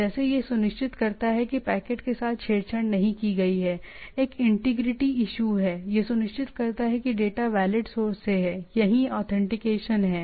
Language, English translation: Hindi, Like it ensures that the packet has not been tampered with, there is an integrity issue, ensures data is valid source, that is the authentication